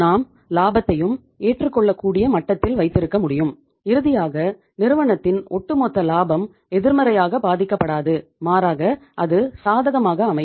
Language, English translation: Tamil, We can keep the profit also at the acceptable level and finally the overall profitability of the firm is not affected negatively, rather it is affected positively